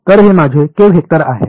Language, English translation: Marathi, So, this is my k vector